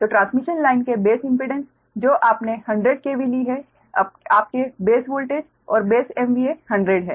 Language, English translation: Hindi, in base impedance of the transmission line you have taken hundred k v, ah, your base voltage, and base m v a hundred